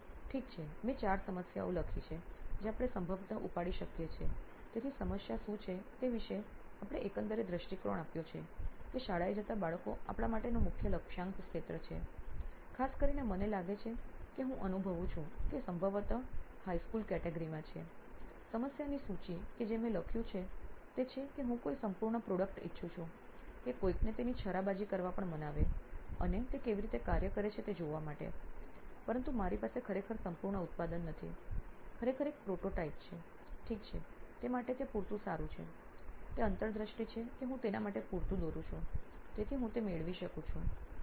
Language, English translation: Gujarati, Okay, I have written down 4 problems that we could possibly take up, so we’ve given an overall view of what the problem is that children are school going children are the main target segment for us, particularly I think I am feeling that you are probably in the high school category, the list of problem that I have written down is that I want a full fledge product to convince somebody to even take a stab at it and see how it works, but I do not really have a full fledge product, really have a prototype, okay is that good enough for that, is the insight that I draw good enough for that, so I get it